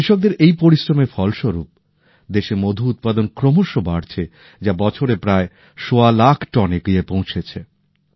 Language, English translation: Bengali, The result of this hard work of the farmers is that the production of honey in the country is continuously increasing, and annually, nearly 1